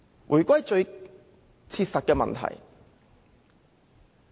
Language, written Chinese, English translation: Cantonese, 回歸最切實的問題。, Let me go back to the most practical problem